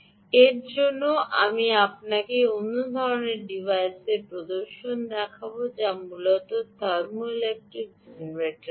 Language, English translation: Bengali, for this, let me show you ah demonstration of a another kind of device, which essentially is called the thermoelectric generator